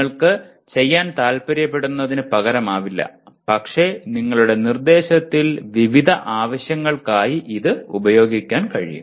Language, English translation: Malayalam, It does not substitute for what you want to do, but you can use it for variety of purposes in your instruction